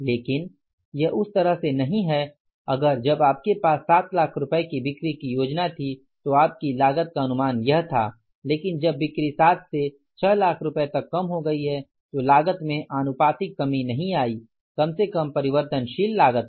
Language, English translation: Hindi, But if it is not that way that when you had the plan for the 7 lakh worth of rupees sales, your cost estimates was this but when the sales came down from the 7 to 6 lakhs, cost has not proportionately come down at least the variable cost